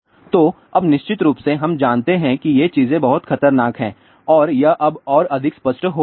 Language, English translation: Hindi, So, now of course, we know that these things are very dangerous and this is becoming now more and more evident also